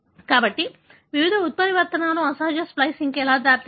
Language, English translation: Telugu, So, how various mutations can lead to aberrant splicing